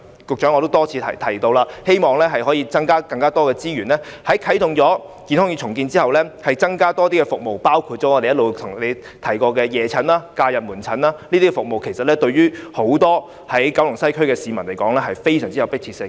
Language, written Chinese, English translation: Cantonese, 局長，我已多次提出，希望可以增加資源，在健康院重建後增設更多的服務，包括我們一直向局長提出的夜診和假日門診等，這些服務對九龍西的市民而言非常有迫切性。, Secretary I have repeatedly proposed that more resources be allocated to the redeveloped Shek Kip Mei Maternal and Child Health Centre so that more services can be put therein . Such additional services include evening Sunday and holiday clinic services which we have been proposing to the Secretary . These are much needed services to the Kowloon West residents